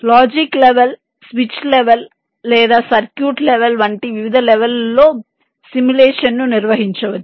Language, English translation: Telugu, simulation can be carried out at various levels, like logic levels, switch level or circuit level